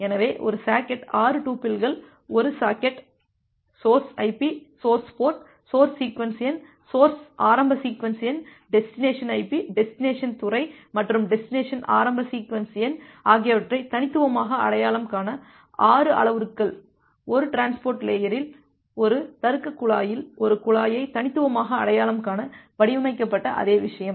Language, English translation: Tamil, So, a socket as 6 tuples, 6 parameters to uniquely identify a socket, the source IP, the source port, the source sequence number, source initial sequence number, the destination IP, destination port, and destination initial sequence number; the same thing that was designed to uniquely identify a pipe in a, logical pipe in a transport layer